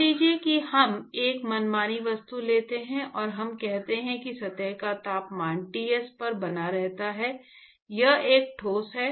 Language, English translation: Hindi, Suppose we take an arbitrary object, and let us say that the surface temperature maintained at Ts, let us say it is a solid